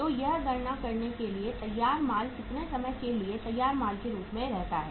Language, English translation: Hindi, So for calculating that the actual for how much time finished goods remain as finished goods